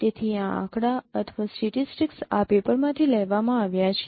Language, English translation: Gujarati, So these statistics is taken from this paper